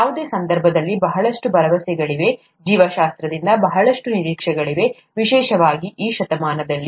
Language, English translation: Kannada, In any case, there’s a lot of promise, there’s a lot of expectation from biology, especially in this century